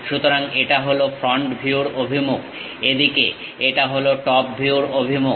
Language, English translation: Bengali, So, this is the front view direction, this is the top view direction in this way